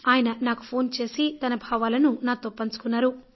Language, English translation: Telugu, He called me up to express his feelings